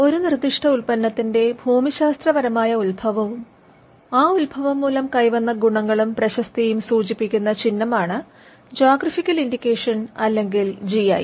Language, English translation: Malayalam, A geographical indication or GI is sign used on products that have a specific geographical origin and possess qualities or a reputation that are due to that origin